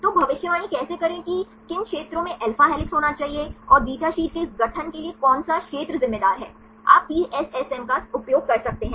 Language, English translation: Hindi, So, how to predict which regions can should alpha helix and which region is responsible for this formation of beta sheets, you can use the PSSM right